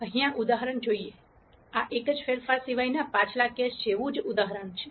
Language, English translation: Gujarati, Let us look at this example here, this is the same example as the previous case except for one change